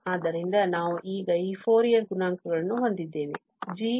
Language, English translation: Kannada, So, these Fourier coefficients of g we have now